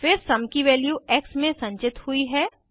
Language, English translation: Hindi, Then the value of sum is stored in x